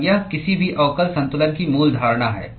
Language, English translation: Hindi, And that is the basic assumption of any differential balance